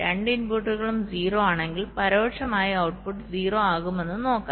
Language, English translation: Malayalam, lets see that we indirectly, the output will be zero if both the inputs are zero, right